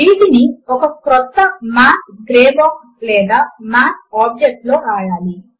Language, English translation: Telugu, Let us write these in a fresh Math gray box or Math object